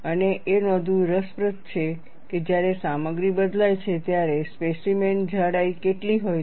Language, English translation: Gujarati, And it is interesting to note, what is the thickness of the specimen when the material changes